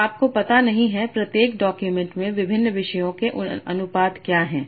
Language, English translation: Hindi, You do not know what are the proportion of various topics that are present in each document